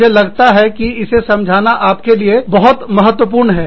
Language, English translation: Hindi, Because, I feel that, this is very important for you, to understand it